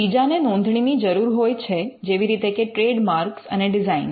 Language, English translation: Gujarati, There are others which require registration like trademarks and designs